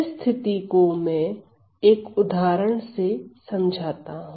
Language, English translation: Hindi, So, let me now highlight this case study with an example